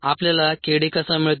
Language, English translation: Marathi, therefore we need k d